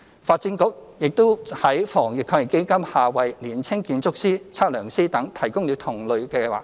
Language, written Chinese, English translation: Cantonese, 發展局也在防疫抗疫基金下為年輕建築師、測量師等提供同類計劃。, The Development Bureau has also provided similar schemes for young architects surveyors etc . under the Anti - epidemic Fund